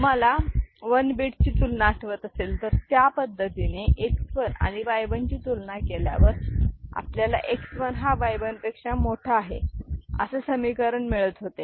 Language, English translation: Marathi, Now, if you remember the way we had compared 1 bit generation, so, X 1 greater than Y 1 we can get if we do 1 bit comparison of X 1 and Y 1